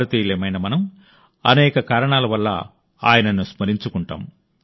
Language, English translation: Telugu, We Indians remember him, for many reasons and pay our respects